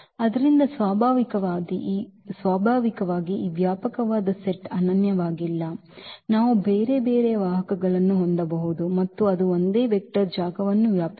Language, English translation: Kannada, So, naturally this spanning set is not unique, we can have we can have a different set of vectors and that spanned the same vector space